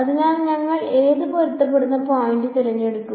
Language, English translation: Malayalam, So, what matching points will we choose